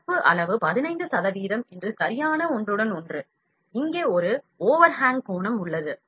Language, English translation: Tamil, And the proper overlap that the fill amount of 15 percent, then there is an overhang angle as well here